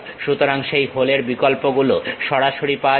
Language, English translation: Bengali, So, that hole options straight away available